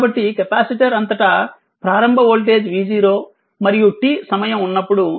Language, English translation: Telugu, So, initially capacitor voltage across initial voltage across the capacitor was v 0; and at time t, it is v t